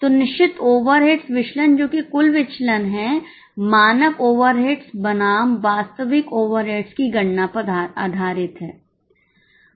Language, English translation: Hindi, So, fixed overheads variance, that is the total variance, is based on the calculation of standard overades versus actual overates